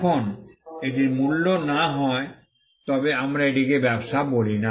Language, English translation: Bengali, Now, if it is not for value, then we do not call it a business